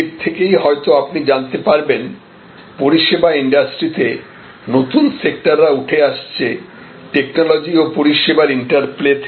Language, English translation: Bengali, In that itself perhaps you will discover that in the service industry, new sectors are emerging, because of this technology and service interplay